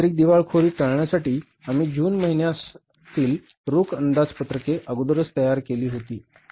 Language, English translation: Marathi, For avoiding the technical insolvency, we prepare the cash budgets in advance by preparing the cash budget for the month of June